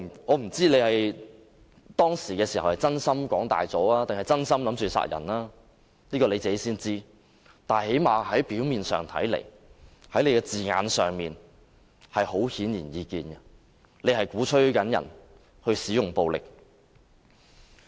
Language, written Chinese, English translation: Cantonese, 我不知道何君堯議員當時只是想誇大，還是真心想殺人，只有他自己才知道，但最低限度從他的字眼上顯而易見的是，他鼓吹其他人使用暴力。, I do not know if Dr Junius HO just wanted to be exaggerating or he did mean to kill at that time . Only he knows . But apparently his remark literally encourages people to use violence